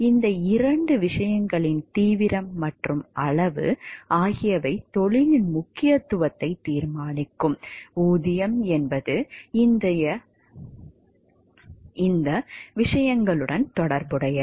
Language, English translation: Tamil, The intensity and the degree of these two things will determine the importance of the profession; pay is a very secondary related to these things